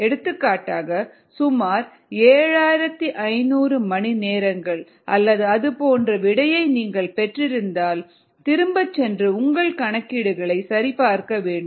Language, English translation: Tamil, for example, if um you had ah seen or got an answer of about of seven thousand five hundred hours or something like that, then you need to go back and check your calculations